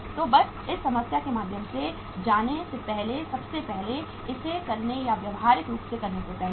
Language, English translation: Hindi, So just go through this problem first of all before moving into or doing it practically